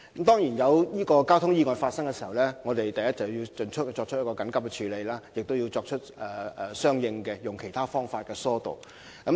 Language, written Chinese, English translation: Cantonese, 當然，每當交通意外發生時，我們首先會緊急處理有關意外，並以其他方法疏導交通。, Certainly whenever accidents occur we will promptly take emergency measures to deal with the relevant accidents and divert traffic by other means